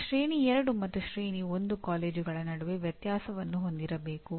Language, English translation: Kannada, Now we come to, we have to differentiate between Tier 2 and Tier 1 colleges